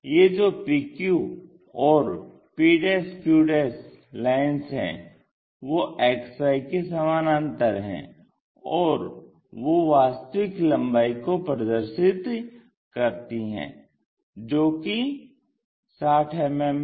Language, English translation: Hindi, Now, we have to draw this p q line p q' are parallel to XY, and they are representing true length side of p q's which are 60 mm things